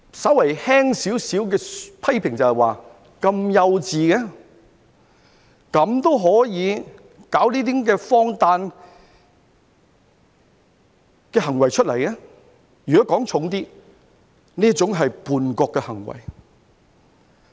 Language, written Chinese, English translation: Cantonese, 稍為輕微地批評，就是幼稚，可以做出如此荒誕的行為；如果說得重一點，這是叛國的行為。, If I am to say anything about the incident in a slightly critical manner such absurd acts were childish . If I am to put it more seriously such actions are an act of treason